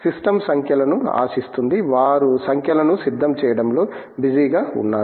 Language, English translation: Telugu, The system expects the numbers therefore, they are busy preparing numbers